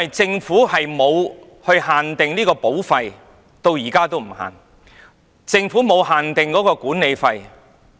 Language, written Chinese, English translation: Cantonese, 政府至今仍沒有限定保費，也沒有限定管理費。, So far the Government has not set cap on either premiums or management fees